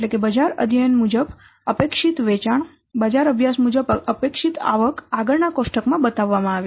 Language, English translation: Gujarati, The expected sales as for the market study, the expected sales income as for the market study are shown in the next table like this